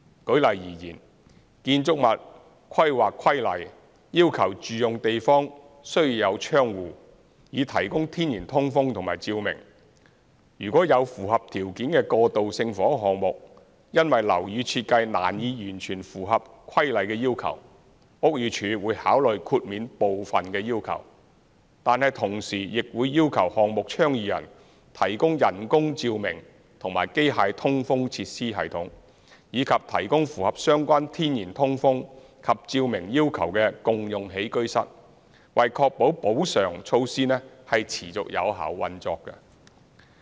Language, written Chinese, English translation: Cantonese, 舉例而言，《建築物規例》要求住用地方需有窗戶，以提供天然通風及照明；若有符合條件的過渡性房屋項目，因樓宇設計難以完全符合《規例》的要求，屋宇署會考慮豁免部分的要求，但同時亦會要求項目倡議人提供人工照明及機械通風設施系統，以及提供符合相關天然通風及照明要求的共用起居室，以確保補償措施持續有效運作。, For example the Buildings Planning Regulations require the provision of windows in living areas to provide natural ventilation and lighting . If there are eligible transitional housing projects facing difficulties in fully complying with the requirements under the Regulations because of the building design BD will consider granting exemptions from part of the requirements but will at the same time require the project proponents to provide artificial lighting and mechanical ventilation systems as well as communal living areas that meet the relevant natural ventilation and lighting requirements and to ensure that the compensation measures will continue to be operated effectively . The task force is currently assisting and facilitating more than 10 projects with different specific details advocated by various non - governmental organizations NGOs